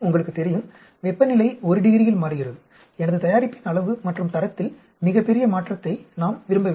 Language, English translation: Tamil, You know, the temperature changes by one degree, we do not want a very large change in my product amount and quality